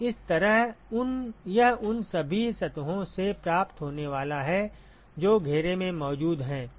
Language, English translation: Hindi, So like that it is going to receive from all the surfaces which is present in the enclosure